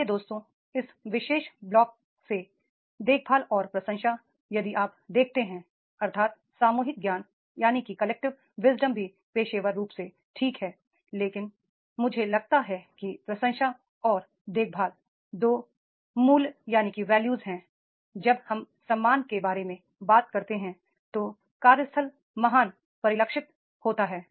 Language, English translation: Hindi, Dear friends, the caring and appreciation from this particular block if you see that is the collective wisdom is also professional is okay but what I find is that is the appreciation and caring these two values when we talk about the respect that that will reflect a great workplace